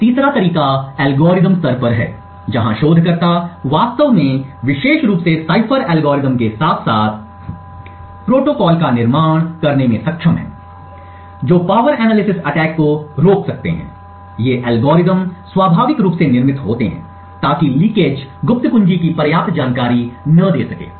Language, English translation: Hindi, A third method is at the algorithmic level, where researchers have actually been able to build algorithms in particular cipher algorithms as well as protocols which can prevent power analysis attacks, these algorithms inherently are built so that the leakage would not give enough of information to an attacker to glean secret information like the secret key